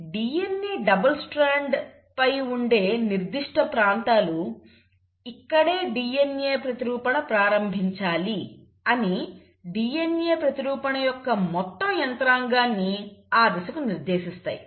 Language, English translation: Telugu, So there are specific regions on the DNA double strand which will direct the entire machinery of the DNA replication to that point telling them, that this is where the DNA replication should start